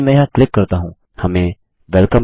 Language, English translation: Hindi, If I click here, we get Welcome